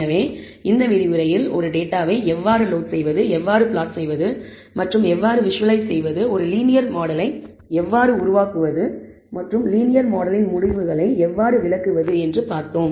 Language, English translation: Tamil, So, in this lecture we saw how to load a data, how to plot and how to visualize, how to build a linear model and how to interpret the results from the linear model